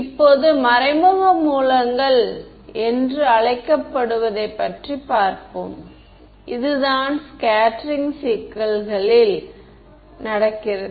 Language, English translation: Tamil, Now, we will look at what are called indirect sources and this is what happens in scattering problems ok